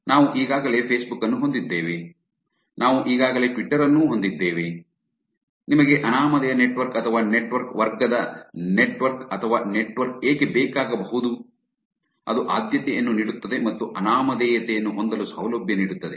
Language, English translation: Kannada, So, we already have Facebook, we already have twitter, why you might need a network or network of the category of anonymous network or network that gives the preference or gives the facility for having anonymity